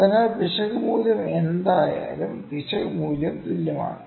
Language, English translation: Malayalam, So, it is if the error value here the error value is same, ok